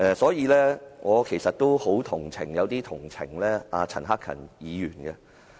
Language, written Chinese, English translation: Cantonese, 所以，我其實也有些同情陳克勤議員。, I am in fact sympathetic towards Mr CHAN Hak - kan somehow